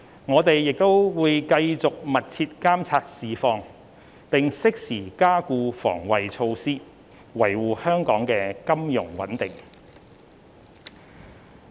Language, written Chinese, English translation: Cantonese, 我們會繼續密切監察市況，並適時加固防衞措施，維護香港的金融穩定。, We will continue to monitor the market closely and strengthen the enhancement measures as necessary to safeguard the financial stability of Hong Kong